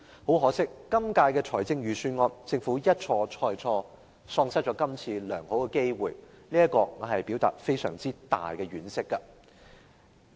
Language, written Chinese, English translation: Cantonese, 很可惜，在今年的預算案中，政府一錯再錯，喪失這次良好的機會，對這一點我表達非常大的婉惜。, Regrettably in the Budget this year the Government repeats this mistake and misses the good opportunity this time around . I express the greatest regret about this point